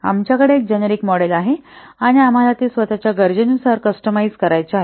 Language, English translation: Marathi, We have to a generic model is there and why we want to customize it according to our own needs